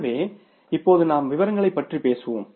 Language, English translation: Tamil, So, now we will talk here about the particulars